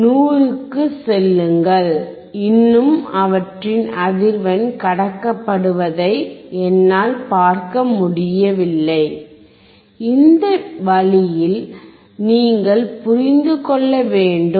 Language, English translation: Tamil, Go to 100 and still I cannot see their frequency can be passed, you see you have to understand in this way